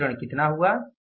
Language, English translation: Hindi, So, what is this variance